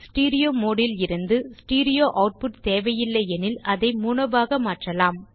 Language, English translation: Tamil, If the audio file is in stereo mode and stereo output is not required, then one can convert the mode to mono